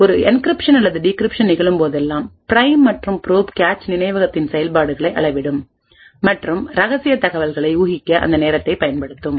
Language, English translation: Tamil, So, whenever there is an encryption or decryption that takes place the prime and probe would measure the activities on the cache memory and use that timing to infer secret information